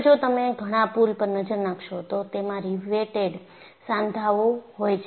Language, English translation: Gujarati, And if you look at many of the bridges, they have riveted joints